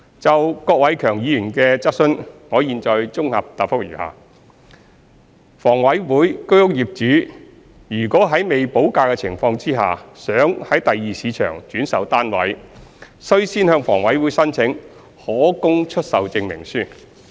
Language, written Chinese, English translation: Cantonese, 就郭偉强議員的質詢，我現綜合答覆如下：一房委會居屋業主如欲在未補價的情況下，於第二市場轉售單位，須先向房委會申請可供出售證明書。, My consolidated reply to the question raised by Mr KWOK Wai - keung is as follows 1 Owners of HAs HOS flats who wish to resell their flats with premium unpaid in the Secondary Market must first apply for a Certificate of Availability for Sale CAS from HA